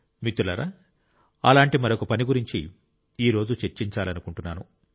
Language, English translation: Telugu, Friends, I would like to discuss another such work today